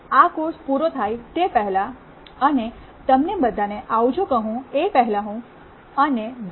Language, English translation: Gujarati, Before we end this course and say goodbye to all of you, myself and also Dr